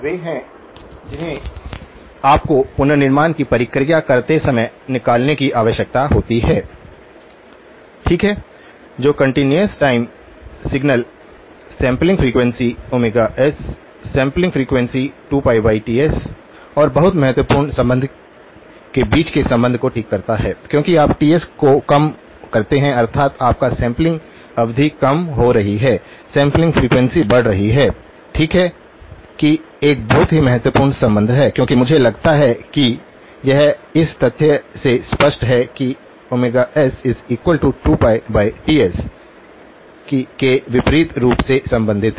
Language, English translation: Hindi, Those are the ones that you need to remove when you do the reconstruction process, okay the relationship between the continuous time signal, the sampling frequency, omega s, sampling frequency equal to 2 pi by Ts and very important relationship as you reduce Ts that means, your sampling period is reducing, sampling frequency is increasing, okay that is a very important relationship as I suppose it is obvious from the fact omega equal to 2pi by Ts that they are inversely related